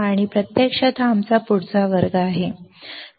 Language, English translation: Marathi, And here actually this is our next class